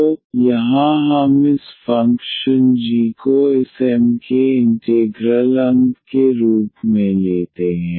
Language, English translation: Hindi, So, here we take this function g as the integral of this M the given M here such that